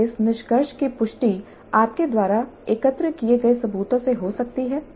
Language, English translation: Hindi, Can this conclusion be supported by the evidence that you have gathered